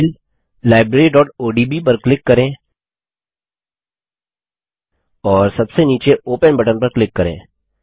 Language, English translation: Hindi, Lets click on the file Library.odb and click on the Open button at the bottom